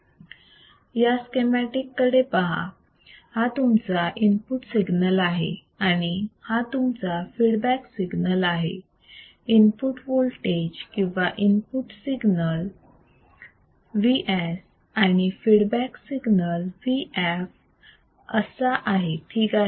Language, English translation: Marathi, See this schematic, schematic is this is your input signal right and this is your feedback signal input voltage or input signal Vs feedback signal Vf all right